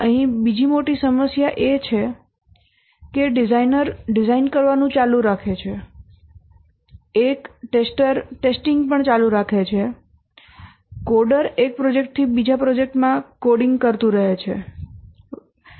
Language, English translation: Gujarati, Another big problem here is that a designer keeps on doing design, a tester keeps on testing, a coder keeps on coding from one project to another project and so on